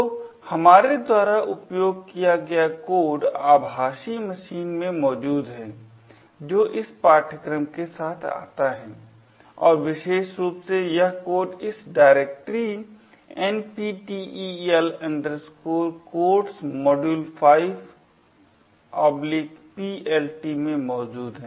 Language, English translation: Hindi, So, the code we use over here is a present in the virtual machine that comes along with this course and this code in particular is present in this directory nptel codes module 5 PLT